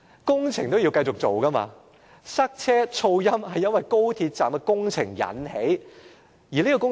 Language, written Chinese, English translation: Cantonese, 工程是要繼續進行的，而塞車和噪音是由於高鐵站工程所引起。, The construction of the West Kowloon Station will go on regardless of the co - location arrangement and congestion and noise are indeed caused by the construction works